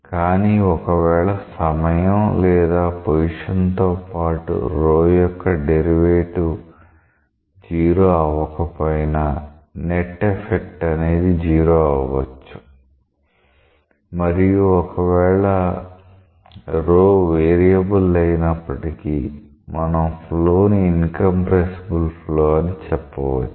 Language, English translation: Telugu, But even if any derivative of rho with respect to position and time is not 0, still the net effect may be 0 and then even though rho is a variable, we will say that the flow is incompressible